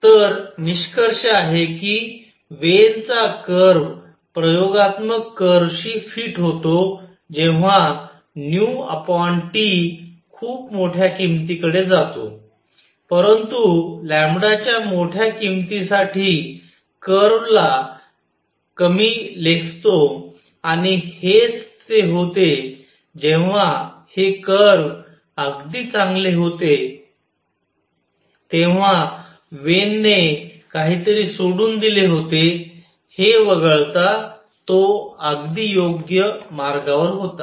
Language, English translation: Marathi, So, conclusion Wien’s curve fits the experimental curve for nu over T going to very large value, but underestimates the curve for large values of lambda and this is when so the curve is very good the Wien was absolutely on the right track except that he was missing something